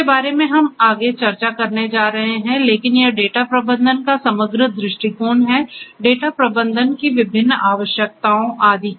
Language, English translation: Hindi, Those are the things that we are going to discuss next, but this is the overall per view of data management so the different attributes of data management and so on